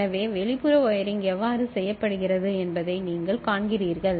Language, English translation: Tamil, So, you see how the external wiring is done